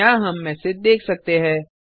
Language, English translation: Hindi, We can see the messages here